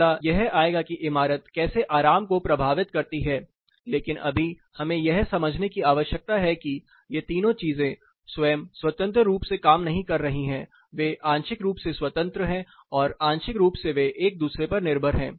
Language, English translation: Hindi, The next would come the building how building impacts the comfort, but now, what we need to understand these 3 entities are not acting by themselves independently; they are partly independent partly they are dependent on each other